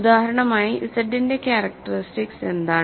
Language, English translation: Malayalam, So, as an example what is the characteristic of Z